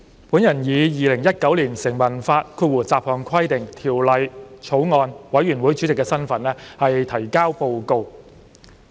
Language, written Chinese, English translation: Cantonese, 主席，我以《2019年成文法條例草案》委員會主席的身份提交報告。, President I am presenting the Report in my capacity as Chairman of the Bills Committee on Statute Law Bill 2019